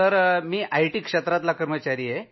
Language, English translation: Marathi, I am an employee of the IT sector